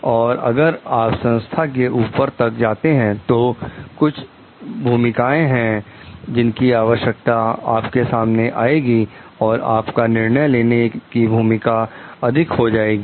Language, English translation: Hindi, And if you like move up the organization, there are certain role demands which comes to you and you get into more decision making roles